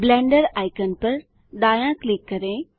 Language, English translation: Hindi, Right Click the Blender icon